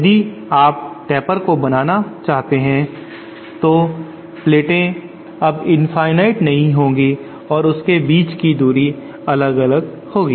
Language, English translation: Hindi, If you want to implement taper then the plates will not be infinite anymore and the distance between them will keep vary